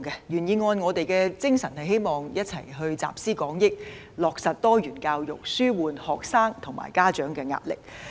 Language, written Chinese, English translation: Cantonese, 原議案的精神是希望集思廣益，落實多元教育，紓緩學生及家長的壓力。, The spirit of the original motion is to draw on collective wisdom to implement diversified education so as to alleviate the pressure on students and parents